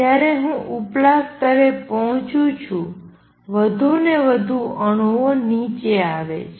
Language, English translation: Gujarati, More I pump to upper level, more the more atoms come down